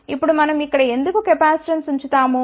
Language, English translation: Telugu, Now, why do we capacitance over here